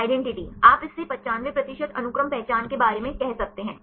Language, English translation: Hindi, Identity; you can say this about 95 percent sequence identity